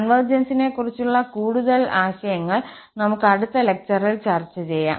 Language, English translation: Malayalam, But there are some more notions of the convergence which we will be discussed in the next lecture